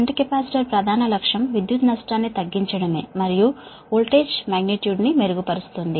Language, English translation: Telugu, i told you there, primary objective of shunt capacitor is to reduce the loss and improve the voltage magnitude